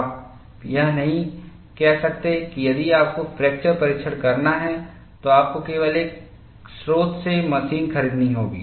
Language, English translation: Hindi, You cannot say, if you have to do fracture test, you have to buy machine only from one source; you cannot have a monopoly